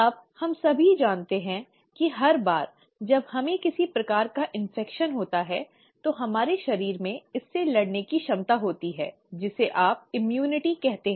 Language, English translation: Hindi, Now we all know, that every time we get some sort of an infection, our body has an ability to fight it out, which is what you call as ‘immunity’